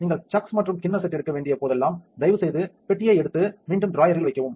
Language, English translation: Tamil, Whenever you have taking the chucks and the bowl set please take the box and put it back into the drawer